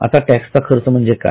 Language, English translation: Marathi, Now what do you mean by tax expense